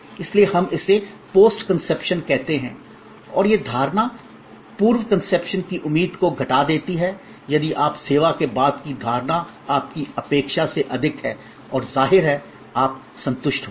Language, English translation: Hindi, So, we call it post conception and this perception minus the pre conception expectation is if you perception after the service is higher than your expectation then; obviously, your satisfied